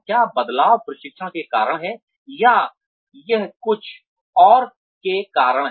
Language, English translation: Hindi, Is the change, due to the training, or is it, due to something else